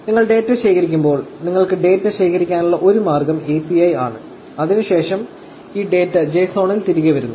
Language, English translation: Malayalam, And, of course when you collect the data, so first is API which is a way by which you want to collect the data, and the data is coming back in JSON